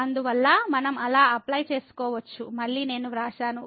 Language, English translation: Telugu, and therefore, we can apply so, again I have written down